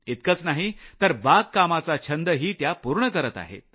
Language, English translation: Marathi, On top of that she is also fulfilling her gardening hobby